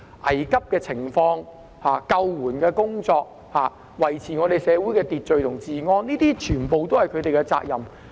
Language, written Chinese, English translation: Cantonese, 危急的情況、救援的工作、維持社會秩序和治安，這些全部都是他們的責任。, Handling emergencies carrying out rescues and maintaining law and order in society are their responsibilities